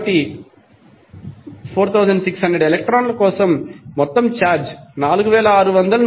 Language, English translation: Telugu, So, for 4600 electrons the total charge would be simply multiply 4600 by 1